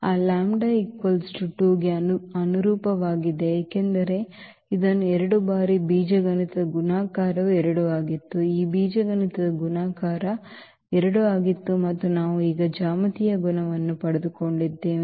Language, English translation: Kannada, So, corresponding to those lambda is equal to 2 because it was repeated this 2 times the algebraic multiplicity was 2, this algebraic multiplicity of this was 2 and we also got now the geometric multiplicity